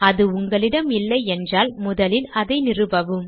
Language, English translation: Tamil, If you do not have it, you need to install it first